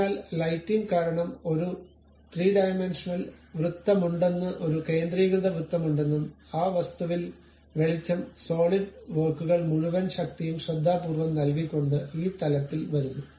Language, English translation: Malayalam, So, let us look at that you see a 3 dimensional there is a circle and there is a concentric circle and because of lighting, the entire power of solid works comes at this level by carefully giving light on that object